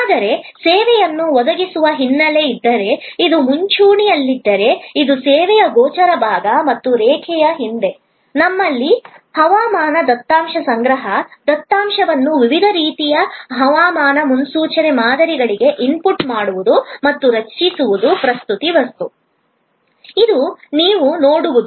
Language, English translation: Kannada, But, if the background to provide this service, so this is the front line, this is the visible part of the service and behind the line, we have collection of weather data, input of the data into various kinds of weather forecast models and creating the presentation material, which is what you see